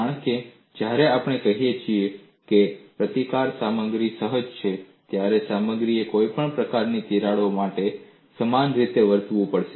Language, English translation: Gujarati, This cannot be possible, because when we say the resistance is inherent in the material, the material has to behave in a similar fashion for any lengths of cracks